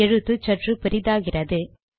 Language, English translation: Tamil, I made the font slightly bigger